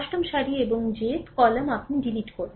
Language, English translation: Bengali, Ith row and jth column you eliminate, right